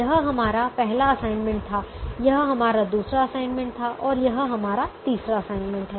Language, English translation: Hindi, this was our first assignment, this was our second assignment and this is our third assignment